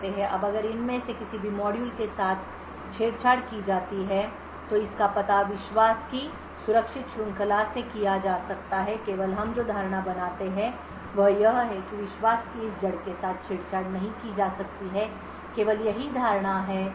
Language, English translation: Hindi, Now if any of this modules are tampered with in the flash this can be detected by the secure chain of trust the only assumption that we make is that this root of trust cannot be tampered with that is the only assumption that we make